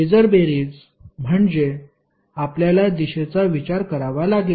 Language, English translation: Marathi, Phasor sum means you have to consider the direction